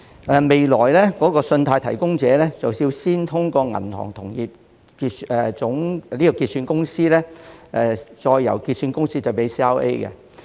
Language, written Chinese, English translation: Cantonese, 日後，信貸提供者須透過香港銀行同業結算有限公司向 CRA 提供信貸資料。, Yet in future credit data will be provided by credit providers to CRAs through the Hong Kong Interbank Clearing Limited HKICL